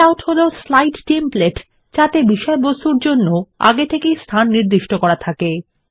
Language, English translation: Bengali, Layouts are slide templates that are pre formatted for position of content with place holders